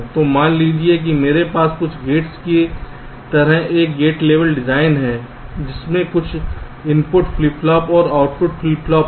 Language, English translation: Hindi, so here, suppose i have a gate level design like this: some gates with some input flip flops and output flip flop